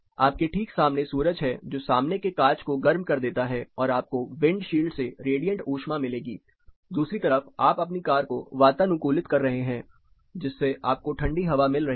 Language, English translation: Hindi, You have sun in front of you sun is heating up the glass you get radiant heat from the windshield side, whereas you are trying to cool your car down through your air conditioner which is actually throwing cold air on you